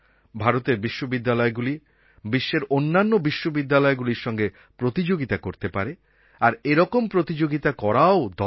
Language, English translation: Bengali, Indian universities can also compete with world class universities, and they should